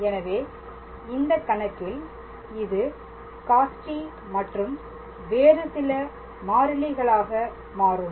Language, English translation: Tamil, So, then in that case it will be cos t and then some other variable and